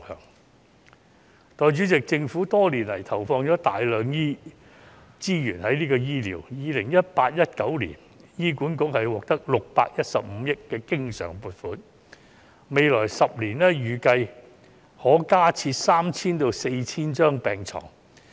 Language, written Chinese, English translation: Cantonese, 代理主席，政府多年來在醫療方面投放大量資源，在 2018-2019 年度，醫院管理局獲得615億元的經常性撥款，未來10年預計可加設 3,000 至 4,000 張病床。, Deputy President the Government has invested substantial resources in healthcare over the years . In 2018 - 2019 the Hospital Authority received a recurrent funding of 61.5 billion . It is expected that 3 000 to 4 000 additional beds can be provided in the next 10 years